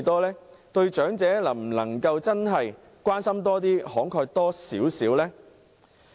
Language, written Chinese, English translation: Cantonese, 能否對長者多點關心，慷慨一點呢？, Can we be a little more caring and generous to the elderly?